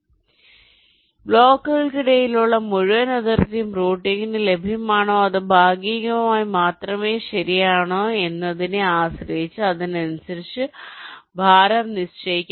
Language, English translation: Malayalam, so weights can be assigned accordingly, depending on whether the whole boundary between the blocks are available for routing or it is only partially available, right